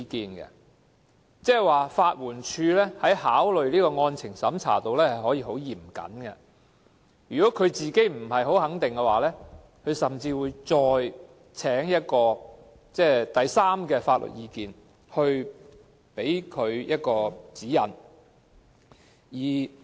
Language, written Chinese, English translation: Cantonese, 換言之，法援署進行案情審查時可以非常嚴謹，如本身不太肯定，甚至會尋求第三者的法律意見，以便提供指引。, In other words LAD can be very strict in conducting the merits test . If they are not too certain they will even seek the legal opinion of a third party to obtain guidance